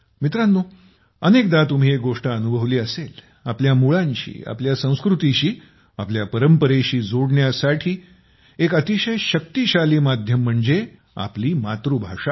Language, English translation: Marathi, Friends, you must have often experienced one thing, in order to connect with the roots, to connect with our culture, our tradition, there's is a very powerful medium our mother tongue